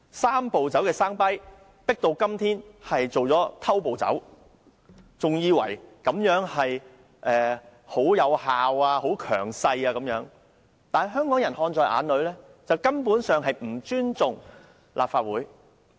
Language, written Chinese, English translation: Cantonese, "三步走"的 sound bite 今天變成了"偷步走"，政府還以為這樣做奏效和能夠維持強勢，但香港人看在眼裏，認為政府根本不尊重立法會。, Today the sound bite Three - step Process has now become jumping the gun . The Government still believes that its tactic works and it can maintain a strong position . In the eyes of the people of Hong Kong however the Government does not respect Legislative Council at all